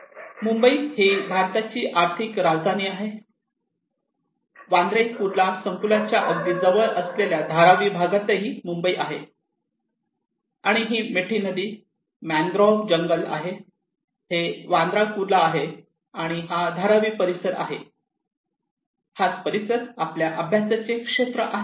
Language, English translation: Marathi, This is Mumbai, the financial capital of India, this is also Mumbai at Dharavi area close opposite to Bandra Kurla complex, and this is Mithi river, mangrove forest and this is Bandra Kurla and this is Dharavi areas okay, this is our study area